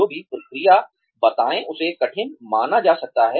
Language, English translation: Hindi, Explain whatever process, may be perceived to be difficult